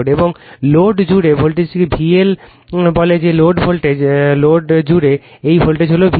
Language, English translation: Bengali, And across the load, the voltage is say V L that is the load voltage; across the load, this voltage is V L right